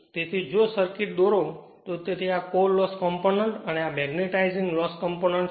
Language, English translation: Gujarati, So, if you draw the circuit; if you draw the circuit so, this is your what you call my this is core loss component and this is my magnetising loss component right